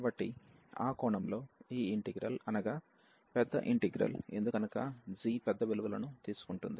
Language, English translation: Telugu, So, in that case if this integral, which is the bigger integral in that sense, because g is taking larger values